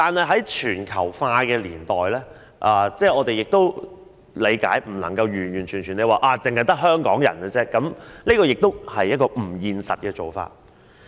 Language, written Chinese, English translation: Cantonese, 在全球化的年代，我們亦理解不能強求人口中完全只得香港人，這亦是不現實的做法。, In this age of globalization we understand that it is impossible to insist on excluding new immigrants completely from the population composition of Hong Kong and this is also an unrealistic approach